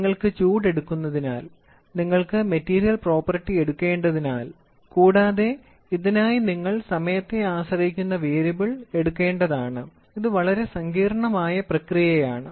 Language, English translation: Malayalam, Because you are supposed to take heat, you are supposed first is heat, you are supposed to take material property and you are also supposed to take a time dependent variable for this, it is a very complicated process